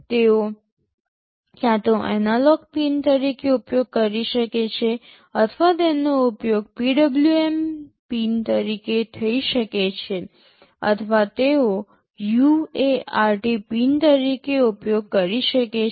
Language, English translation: Gujarati, They can either be used as an analog pin or they can be used as a PWM pin or they can be used as a UART pin